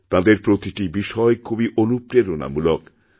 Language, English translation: Bengali, Each and everything about them is inspiring